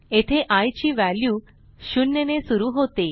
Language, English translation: Marathi, Here, the value of i starts with 0